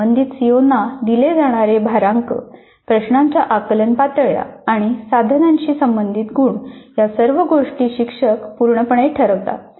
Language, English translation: Marathi, The weight is given to the concerned COs, the cognitive levels of items and the marks associated with items are completely decided by the teacher